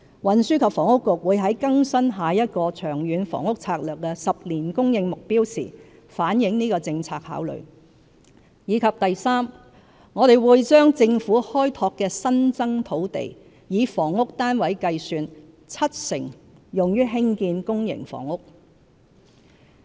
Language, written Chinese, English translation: Cantonese, 運輸及房屋局會在更新下一個《長遠房屋策略》的10年供應目標時反映這個政策考慮；及3我們會把政府開拓的新增土地，以房屋單位計算，七成用於興建公營房屋。, The Transport and Housing Bureau will reflect this policy consideration in updating the next ten - year housing target under the Long Term Housing Strategy; and iii we undertake that 70 % of housing units on Governments newly developed land will be for public housing